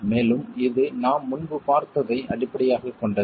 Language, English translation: Tamil, And this is based on what we have looked at earlier